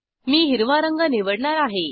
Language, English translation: Marathi, I will select green colour